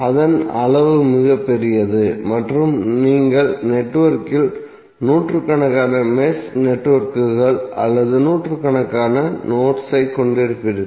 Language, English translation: Tamil, That is very large in size and you will end up having hundreds of mesh networks or hundreds of nodes in the network